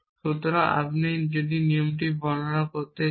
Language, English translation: Bengali, So, if you want to describe this